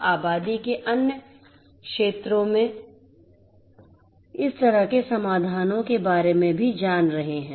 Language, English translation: Hindi, We are also taking about these kind of solutions for catering to the other segments of the population